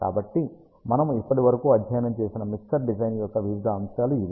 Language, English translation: Telugu, So, these are the various aspects of mixer design that we studied so far